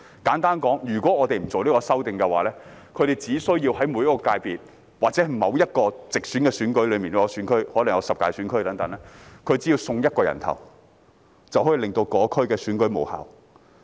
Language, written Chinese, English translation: Cantonese, 簡單說，如果我們不作出這項修訂，他們只需要在每個界別或某項直選選舉中的某個選區——可能有十大選區——"送一個人頭"，便可以令該區的選舉無效。, Simply put if we do not make this amendment all they need to do is to field a candidate in a certain functional constituency FC or geographical constituency or maybe 10 constituencies and they can cause the termination of the election in that constituency